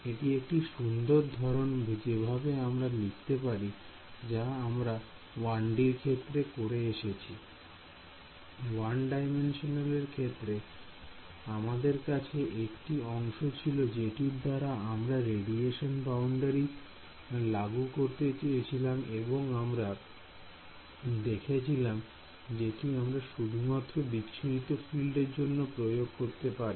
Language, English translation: Bengali, This is just a fancy way of writing what we have already done in 1D; in 1D we had a term we wanted to impose a radiation boundary condition we wrote we and we could only impose it on the scattered field